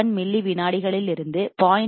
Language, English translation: Tamil, 1 milliseconds, and from 0